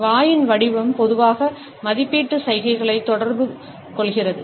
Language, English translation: Tamil, The shape of the mouth normally communicates evaluation gestures